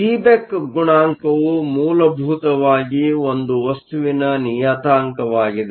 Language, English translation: Kannada, The Seeback coefficient is essentially a material parameter